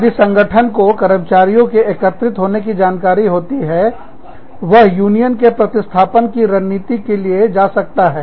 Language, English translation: Hindi, The organization, if an organization, comes to know, that its employees are getting together, it may decide to go for a, union substitution strategy